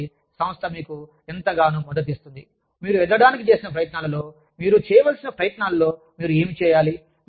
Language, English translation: Telugu, So, how much does the organization support you, in your attempts to grow, in your attempts to do, what you are required to do